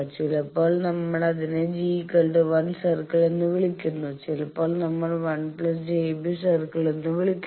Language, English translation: Malayalam, Sometimes we call it g is equal to one circle, sometimes we call 1 plus j beta circle